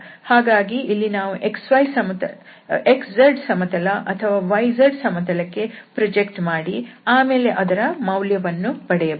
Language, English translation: Kannada, So, here we have to project either on this x z plane or we can project on this y z plane then we can evaluate